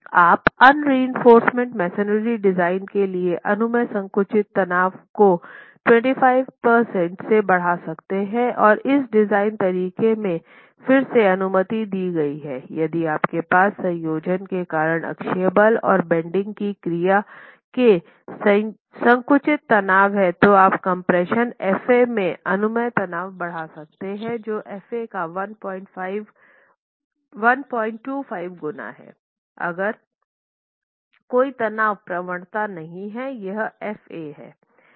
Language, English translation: Hindi, You could increase the permissible compressive stress for unreinforced masonry design by 25 percent and that is again permitted in this design where if you have compressive stress due to a combination of axial force and bending action then you can increase the permissible stress in compression F